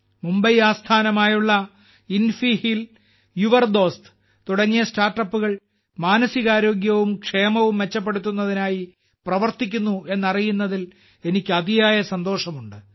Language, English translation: Malayalam, I am very happy to know that Mumbaibased startups like InfiHeal and YOURDost are working to improve mental health and wellbeing